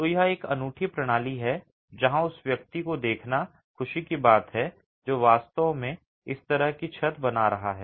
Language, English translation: Hindi, So, this is a unique system where it is a pleasure to see the person who is actually making this sort of a roof